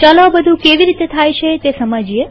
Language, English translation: Gujarati, Let us understand how all this can be done